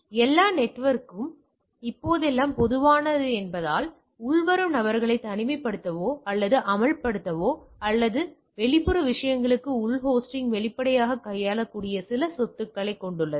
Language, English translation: Tamil, As these are nowadays common for at all the network and it has some of the property to isolate the incoming or expose the or can handle the exposing of the internal host to the external things